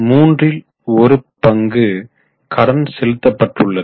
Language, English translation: Tamil, Almost one third of their debt they have paid